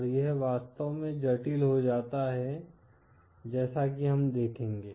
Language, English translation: Hindi, And it becomes really complicated as we shall see